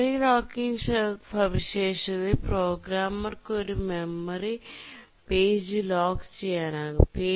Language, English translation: Malayalam, In the memory locking feature the programmer can lock a memory page